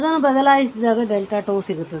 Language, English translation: Kannada, All you replace that, then you will get the delta 2